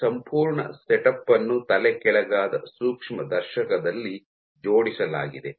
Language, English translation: Kannada, This whole setup is mounted on an inverted microscope